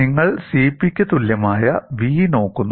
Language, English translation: Malayalam, And you look at v equal to CP